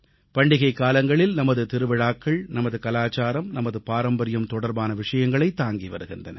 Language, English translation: Tamil, During the festival season, our festivals, our culture, our traditions are focused upon